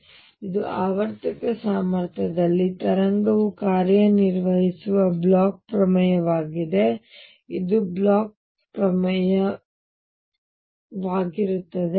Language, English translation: Kannada, So, this is the Bloch’s theorem that the wave function in a periodic potential, this is a Bloch’s theorem